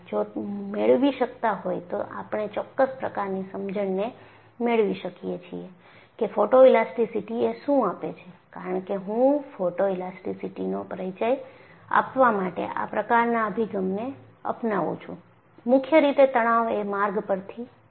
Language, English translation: Gujarati, If they match, then we can come to certain kind of an understanding what photoelasticity gives because I take this kind of an approach for introducing photoelasticity; mainly because it comes from the stress route